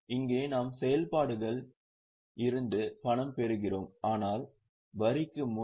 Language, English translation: Tamil, Here we get cash generated from operations but before tax